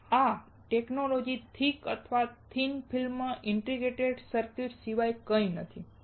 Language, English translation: Gujarati, And this technology is nothing but thick or thin film integrated circuit